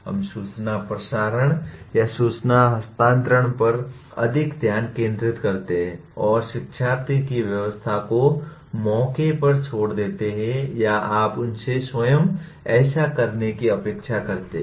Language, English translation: Hindi, We focus more on information transmission or information transfer and leave the learner’s engagement to either chance or you expect them to do on their own